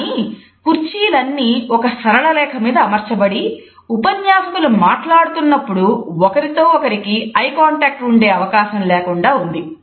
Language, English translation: Telugu, But the chairs have been put in a straight line so, that the speakers are unable to have any eye contact with each other while they are participating